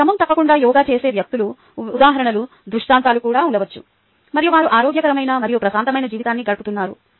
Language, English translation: Telugu, you may also have examples, illustrations of people who do yoga regularly and they are having a healthy and peaceful life